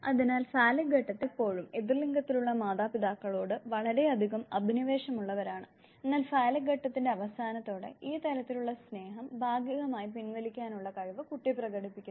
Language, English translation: Malayalam, So, during phallic stage children they always are too passionate about the parent of the opposite sex, but by the end of the phallic stage, the child develops this ability, the child demonstrates this ability of partial withdrawal of this level affection and reinvestment in to the other parent